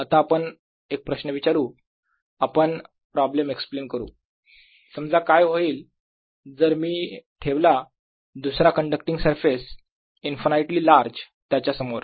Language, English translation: Marathi, now we ask the question, explain the problem and say: what if i put another conducting surface infinitely large in front of it